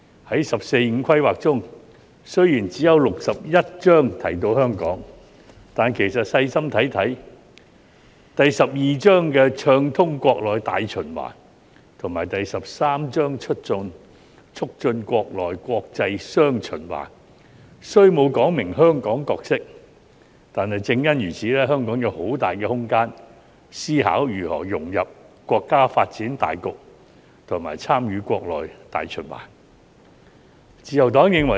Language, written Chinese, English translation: Cantonese, 在"十四五"規劃中，雖然只有第六十一章提到香港，但其實細心閱讀，在第十二章《暢通國內大循環》和第十三章《促進國內國際雙循環》中，雖沒有說明香港的角色，但正因如此，香港有很大的空間思考如何融入國家發展大局及參與國內大循環。, In the 14th Five - Year Plan Hong Kong is mentioned only in Chapter 61 but if we read it carefully we will see that although the role of Hong Kong is not expressly stated in Chapter 12 Greater Domestic Circulation and Chapter 13 Domestic and International Circulation this has precisely allowed Hong Kong much room to consider how to integrate into the overall national development and participate in the domestic circulation